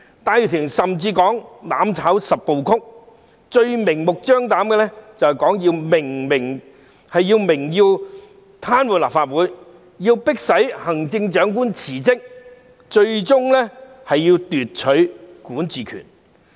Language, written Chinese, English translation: Cantonese, 戴耀廷甚至提出"攬炒十部曲"，最明目張膽的就是明言要癱瘓立法會，迫行政長官辭職，最終要奪取管治權。, Benny TAI even proposed the 10 steps to mutual destruction the most blatant of which was laying bare their intention to paralyse the Legislative Council force the Chief Executive to resign and ultimately seize the governing authority